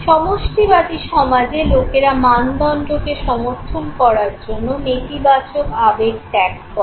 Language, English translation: Bengali, Now in collectivist society people forgo negative emotions in order to support group standards okay